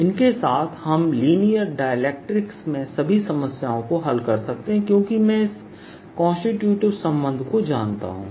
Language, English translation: Hindi, with these we can solve all the problems in linear dielectrics because i know this constituent relationship plus all one example